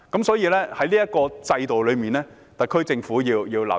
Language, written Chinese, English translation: Cantonese, 所以，在這方面，特區政府必須留意。, So in this respect the attention of the SAR Government is warranted